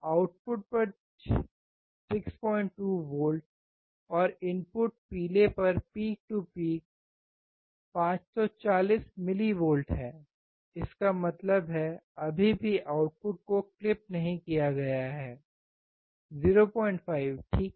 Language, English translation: Hindi, 2 volts at the output, and the input is yellow one peak to peak 540 millivolts; that means, still the output has not been clipped so, 0